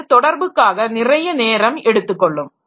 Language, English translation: Tamil, So, that takes more time for communication